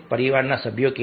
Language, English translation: Gujarati, how are the family members